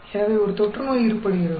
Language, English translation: Tamil, So, an epidemic is happening